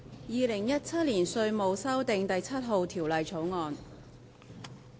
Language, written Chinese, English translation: Cantonese, 《2017年稅務條例草案》。, Inland Revenue Amendment No . 7 Bill 2017